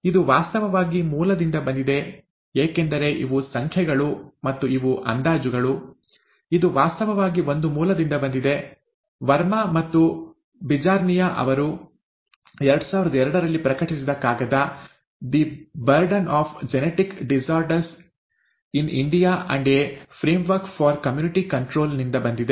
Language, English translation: Kannada, This is actually from a source because these are numbers and these are estimates; this is actually from a source, a paper published in two thousand two by Verma and Bijarnia; ‘The Burden of Genetic Disorders in India and a Framework for Community Control’